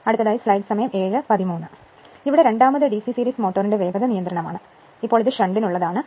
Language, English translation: Malayalam, Now, second one is that speed control of DC series motor, now this is for shunt